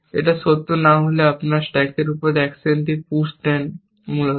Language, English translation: Bengali, If it is not true, you push an action on to the stack, essentially